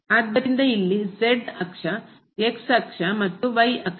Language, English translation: Kannada, So, here the axis, the axis and the axis